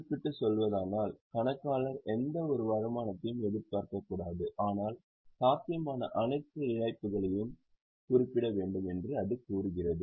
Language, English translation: Tamil, To put it in specific terms, it states that accountant should not anticipate any income but shall provide for all possible losses